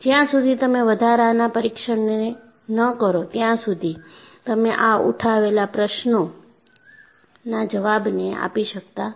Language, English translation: Gujarati, Unless you conduct additional tests, you will not be in a position to answer the questions that we have raised